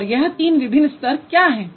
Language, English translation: Hindi, And what are the three different levels here